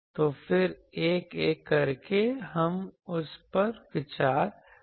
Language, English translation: Hindi, So, then, one by one we will consider that